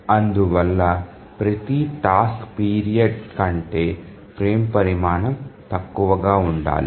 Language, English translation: Telugu, So a frame size must be less than every task period